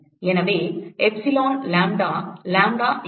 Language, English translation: Tamil, So, there will be epsilon lambda, lambda